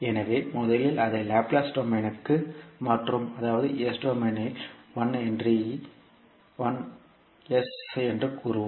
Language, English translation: Tamil, So first we will convert it to Laplace domain that is we will say that 1 henry in s domain we will sell as s